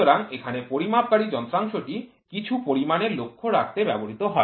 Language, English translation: Bengali, So, measure here the measuring device is used to keep a track of some quantity